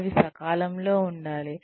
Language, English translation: Telugu, They should be timely